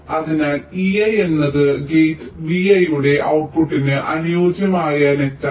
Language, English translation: Malayalam, so e i is the net corresponding to the output of gate v i, right